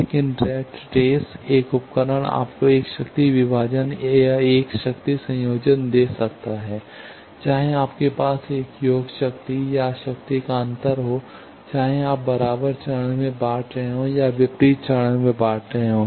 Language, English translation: Hindi, But rat race one device can give you either a power divider or a power combiner that also whether you have one sum up power or difference of power, whether you have splitting in equal phase or splitting in opposite phase